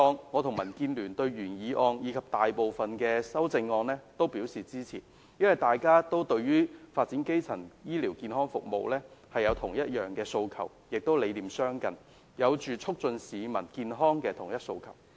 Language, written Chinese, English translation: Cantonese, 我和民建聯對今次的原議案及大部分修正案均會支持，因為大家對於發展基層醫療健康服務有相同的訴求，理念亦相近，有促進市民健康的同一訴求。, DAB and I will support the original motion and most of the amendments . It is because we have the same aspiration on the development of primary health care services and the philosophy is quite close to each other as we have the same objective that public health should be enhanced